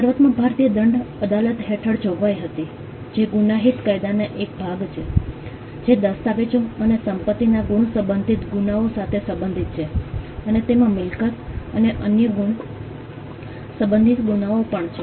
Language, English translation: Gujarati, Initially there was a provision under the Indian penal court, which is a part of the criminal law; which pertained to offenses relating to documents and property marks, and it also had offenses relating to property and other marks